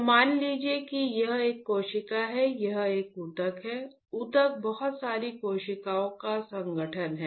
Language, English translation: Hindi, So, assume that this is a cell, this is a tissue ok; tissue is composition of lot of cells